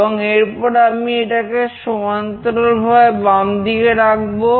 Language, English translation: Bengali, And then I will make horizontally left, I have done to the left side